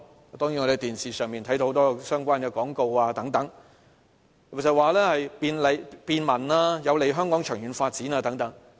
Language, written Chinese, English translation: Cantonese, 我們從電視看到很多相關的廣告等，經常說便民、有利香港長遠發展等。, We can see frequent broadcast of TV Announcement of Public Interests highlighting how the proposal would bring convenience and long - term development benefits to Hong Kong